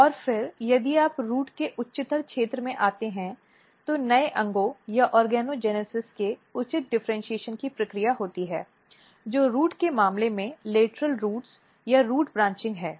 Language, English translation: Hindi, And then if you come in the even higher up region of the root the process of proper differentiation of new organs or organogenesis occurs which is mostly in case of root is lateral roots or root branching